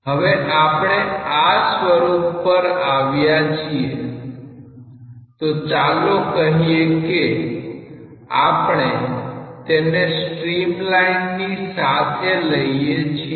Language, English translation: Gujarati, Now, when we come to this form; so let us say that we are considering it along a stream line